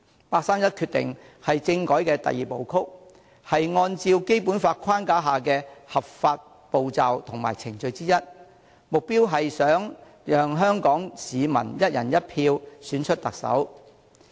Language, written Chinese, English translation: Cantonese, 八三一決定是政改的第二步曲，是按照《基本法》框架下的合法步驟和程序之一，目標是想讓香港市民"一人一票"選出特首。, The 31 August Decision is the second step of the constitutional reform a legitimate step and procedure within the framework of the Basic Law with a purpose to allow Hong Kong people to elect the Chief Executive by one person one vote